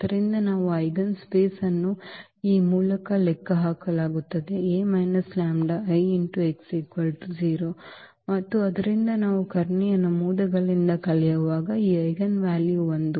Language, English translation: Kannada, So, the eigenspace will be computed by this A minus lambda I, x is equal to 0 and therefore, when we subtract from the diagonal entries this eigenvalue 1